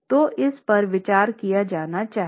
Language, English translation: Hindi, So, that is something to be considered